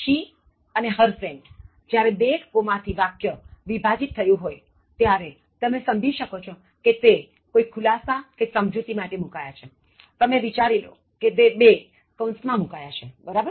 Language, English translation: Gujarati, She is a comma as well as her friend, now when it is separated by two commas you can understand it is a parenthetical expression that means, you can assume it is kept within two brackets, okay